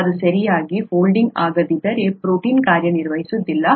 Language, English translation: Kannada, If that doesnÕt fold properly, then the protein will not be functional